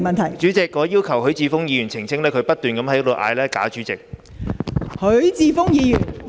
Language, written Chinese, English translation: Cantonese, 代理主席，許智峯議員在不斷高呼"假主席"，我要求他澄清。, Deputy President Mr HUI Chi - fung keeps shouting phoney President . I demand him to clarify